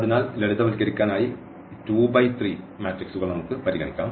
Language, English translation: Malayalam, So, let us consider this 2 by 3 matrices for instance just for simplicity